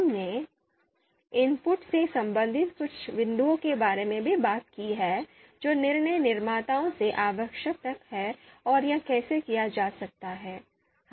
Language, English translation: Hindi, We also talked about you know certain you know points related to the inputs that are required from the decision makers and how that can be done